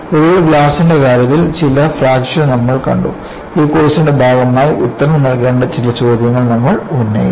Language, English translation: Malayalam, And finally, we had seen some fractures in the case of glass and we raised certain questions that need to be answered as part of this course